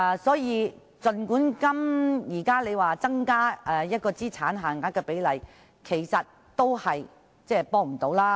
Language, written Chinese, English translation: Cantonese, 所以，儘管現在政府提出增加資產限額的建議，其實也是沒有幫助的。, Therefore even though the Government is proposing the increase in asset limit it still does not help